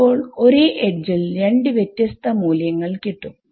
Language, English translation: Malayalam, So, now, the same edge, has 2 different values